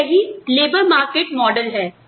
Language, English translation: Hindi, So, this is the labor market model